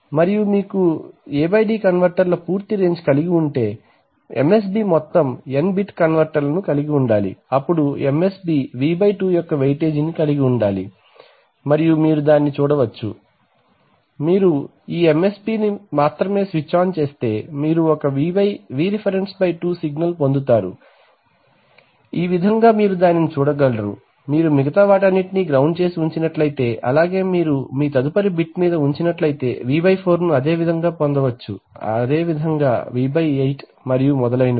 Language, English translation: Telugu, And, so if you have a total range of the A/D converters then the MSB should have a total range of n bits converter then the MSB should have a weightage of V/2 and you can see that, If you only switch on this MSB, you get a Vref/2 signal here, in this way you can show that, if you if you kept all the others grounded and you put on the next bit on you would have got V/4 similarly V/8 and so on